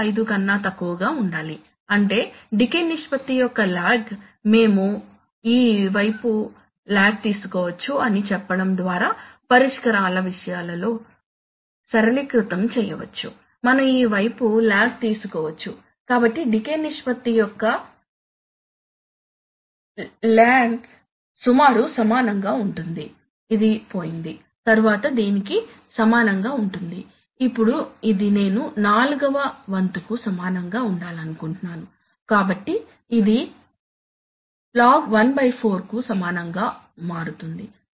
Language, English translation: Telugu, 25, which means that the we can, we can just simplify matters of solutions by saying that the, saying that the log of the decay ratio, we can take log on this side, so we can have, you know, ln of the decay ratio is approximately equal to, this is gone, then approximately equal to this or equal to let us say, so, now so, this I want to be equal to one fourth right, so this becomes equal to ln of one fourth